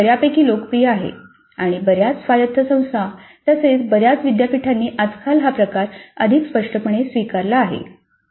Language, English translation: Marathi, This is fairly popular and many autonomous institutes as well as many universities have adopted this type much more prominently these days